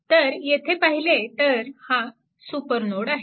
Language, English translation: Marathi, So, if you look here this is actually super node, right